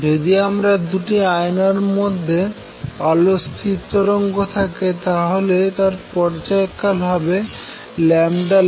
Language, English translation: Bengali, So, if I have standing wave of light between say 2 mirrors, then the periodicity is lambda light divided by 2